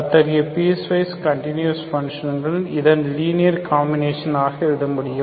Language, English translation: Tamil, Such a piecewise continuous function I can write as in terms of, as a linear combination of this